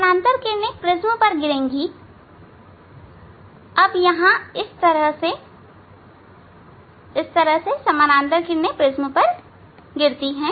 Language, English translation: Hindi, Now, parallel rays will fall on the prism here